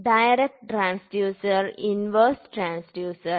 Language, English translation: Malayalam, So, it is called as inverse transducer